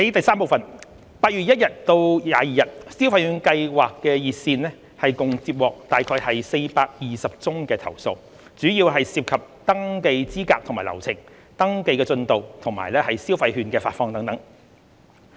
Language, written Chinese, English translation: Cantonese, 三8月1至22日，消費券計劃熱線共接獲約420宗投訴，主要涉及登記資格及流程、登記進度，以及消費券的發放等。, 3 From 1 to 22 August the Scheme hotline has received about 420 complaints mainly related to the eligibility criteria registration procedure registration progress disbursement of consumption vouchers etc